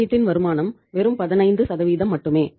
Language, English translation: Tamil, Return on investment is just 15%